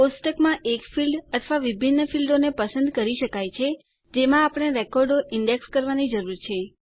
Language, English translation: Gujarati, We can choose one field or multiple fields in a table on which the records need to be indexed